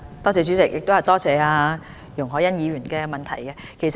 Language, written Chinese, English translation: Cantonese, 主席，多謝容海恩議員的質詢。, President I thank Ms YUNG Hoi - yan for her question